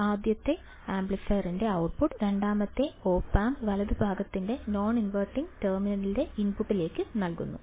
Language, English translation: Malayalam, The output of the first amplifier is fed to the input of the non inverting terminal of the second opamp right